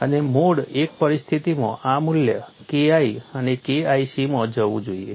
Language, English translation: Gujarati, And in a mode one situation this value should go to the K1 should go to K1 c